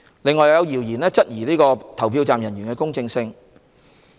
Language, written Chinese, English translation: Cantonese, 此外，有謠言質疑投票站人員的公正性。, In addition there are rumours questioning the impartiality of polling station staff